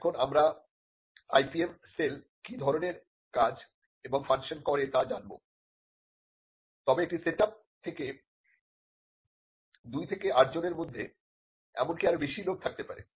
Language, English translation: Bengali, Now, we will get to what kind of tasks and functions the IPM cell does, but in a setup it could be between 2 to 8 people it could be even more